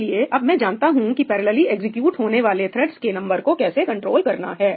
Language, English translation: Hindi, So, now, I know how to control the number of threads that execute the parallel region, right